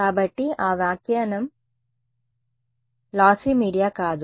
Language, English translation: Telugu, So, that that interpretation is not of a lossy media right